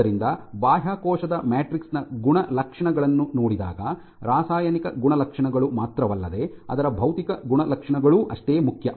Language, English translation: Kannada, So, properties of the extracellular matrix, when I see properties not only the chemical properties also its physical properties are equally important